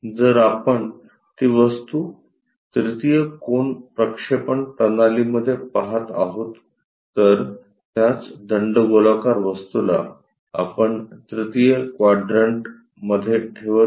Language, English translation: Marathi, If we are looking at that in the 3rd angle projection systems, the same cylindrical object in the 3rd quadrant we are placing